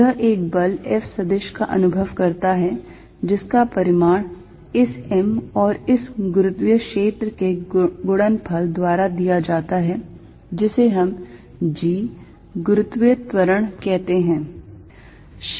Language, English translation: Hindi, It experiences is a force F vector whose magnitude is given by m times this gravitational field, which we call g, gravitational acceleration